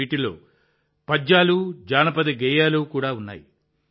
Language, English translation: Telugu, These also include poems and folk songs